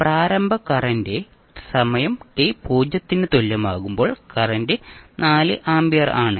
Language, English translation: Malayalam, The initial current that is current at time t is equal to 0 is 4 ampere